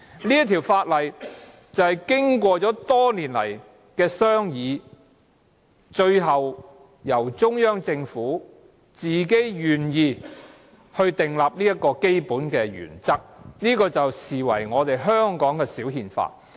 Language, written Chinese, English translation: Cantonese, 這項法例經過多年商議，最後中央政府自己願意確立這個基本原則，視為香港的"小憲法"。, This is the thrust of the Basic Law . After many years of deliberations and with the Central Government eventually being willing to establish this basic principle this Law has been regarded as the mini constitution of Hong Kong